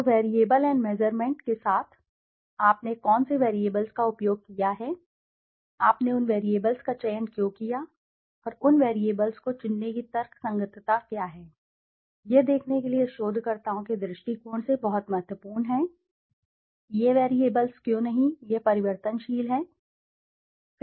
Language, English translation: Hindi, So, with the variable and the measurements, so what variables have you used, why did you select those variables, and what is the rationality of selecting those variables, this is very important from a researchers point of view to explain why this variable and not this variable